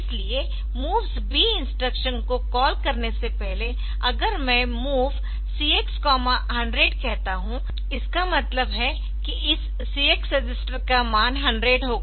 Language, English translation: Hindi, So, before calling moves b; so if I say like MOV CX comma hundred; that means, this CX register will have the value hundred